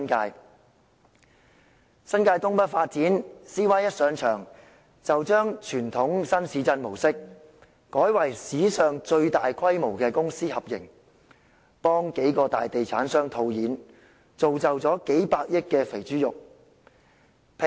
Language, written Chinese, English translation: Cantonese, 至於新界東北發展計劃 ，CY 剛上場，便將傳統新市鎮模式，改為史上最大規模的公私合營模式，替數個大地產商套現，造就數百億元的"肥豬肉"。, As regards the North East New Territories NENT Development Plan as soon as he took office CY immediately transformed the traditional new town model to the largest public - private partnership in history cashing out for several major real estate developers and creating a piece of fat pork worth tens of billion dollars